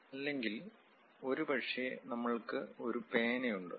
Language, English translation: Malayalam, Or perhaps we have a writing pen